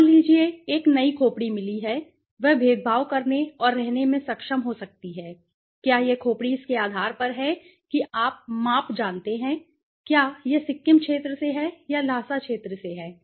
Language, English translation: Hindi, Suppose, a new skull is found he could be able to discriminate and stay whether this skull on basis of its you know the measurements, Is it from there are the Sikkim zone Sikkim region or is from the Lhasa region